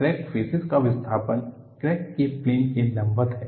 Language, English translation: Hindi, The displacement of crack faces is perpendicular to the plane of the crack